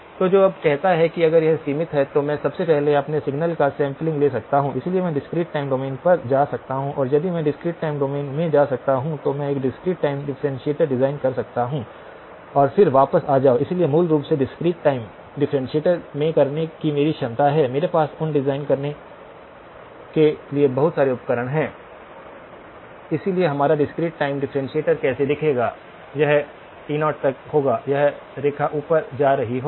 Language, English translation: Hindi, So which then says that if it is band limited, I can first of all sample my signal, so I can go to the discrete time domain and if I can go into the discrete time domain, then I can design a discrete time differentiator and then come back to the; so basically my ability to do at the discrete time differentiator is I have a lot of tools to design those, so how will our discrete time differentiator look like, it will have up to pi it will have this line going up